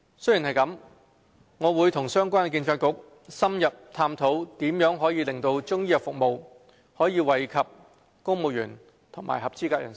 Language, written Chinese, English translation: Cantonese, 雖然如此，我會與相關政策局深入探討如何令中醫藥服務惠及公務員及合資格人士。, Notwithstanding this I will explore in an in - depth manner with relevant Policy Bureaux as to how Chinese medicine services can benefit civil servants and eligible persons